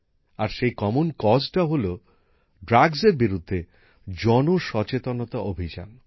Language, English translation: Bengali, And this common cause is the awareness campaign against drugs